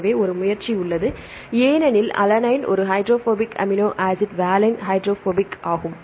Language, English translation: Tamil, So, there is an effort because alanine is a hydrophobic amino acid valine is hydrophobic